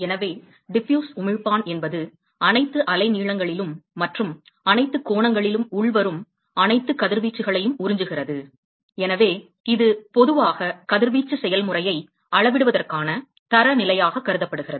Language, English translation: Tamil, So, therefore, is the Diffuse emitter, it absorbs all incoming radiations, at all wavelengths, and all angles, and so it is generally considered as a, standard for, for quantifying radiation process, for quantifying radiation process